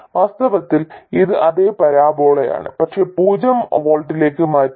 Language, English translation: Malayalam, In fact it is the same parabola as this but shifted to 0 volts